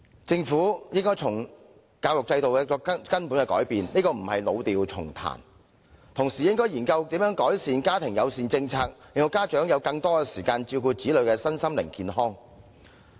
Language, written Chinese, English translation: Cantonese, 政府應對教育制度作出根本改變，這並不是老調重彈，更應研究如何改善家庭友善政策，令到家有更多時間照顧子女的身心健康。, The Government should make fundamental changes to the education system . This request is by no means playing the same old tune . The Government should also consider how to improve the family - friendly policy so that parents would have more time to take care of the physical and mental well - being of their children